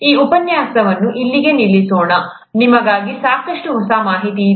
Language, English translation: Kannada, Let us stop this lecture here, there is good enough new information for you